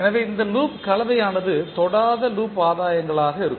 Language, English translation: Tamil, So the combination of these loops will be the non touching loops gains